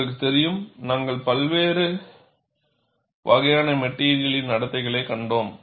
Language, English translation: Tamil, And you know, we have seen different types of material behavior